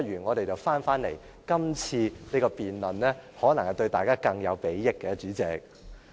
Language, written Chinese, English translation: Cantonese, 我們不如返回今次的辯論，可能對大家更有裨益，代理主席。, We should return to the present debate . This may be better to all of us Deputy President